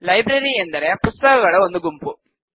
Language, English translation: Kannada, A library can be a collection of Books